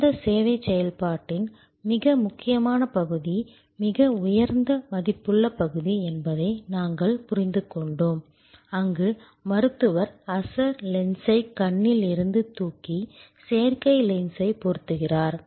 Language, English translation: Tamil, we understood, that the most critical part , the most high value part of that service operation is, where the doctor lifts the original lens out of the eye and puts in an artificial lens